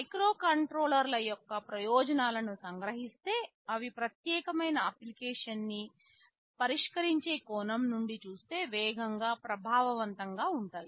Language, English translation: Telugu, To summarize the advantages of microcontrollers, they are fast, they are effective from the point of view of solving some particular application at hand